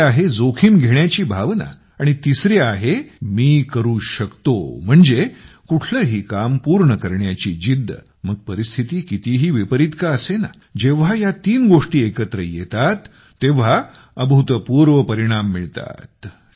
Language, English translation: Marathi, The second is the spirit of taking risks and the third is the Can Do Spirit, that is, the determination to accomplish any task, no matter how adverse the circumstances be when these three things combine, phenomenal results are produced, miracles happen